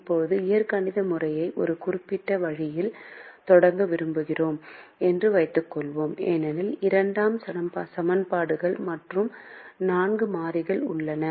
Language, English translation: Tamil, now let's assume that we want to start the algebraic method in a certain way, because there are two equations and four variables